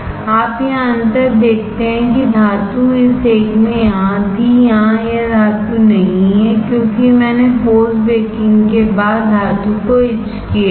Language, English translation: Hindi, You see difference here the metal was here in this one, here this metal is not there because I have after post baking I have etched the metal, alright